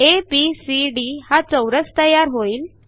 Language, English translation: Marathi, A square ABCD is drawn